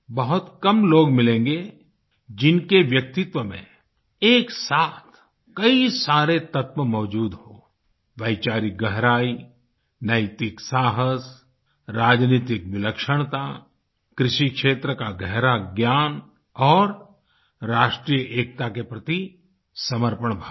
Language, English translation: Hindi, You will come across few people whose personality has so many elements depth of thoughts, moral courage, political genius, in depth knowledge of the field of agriculture and spirit of commitment to national unity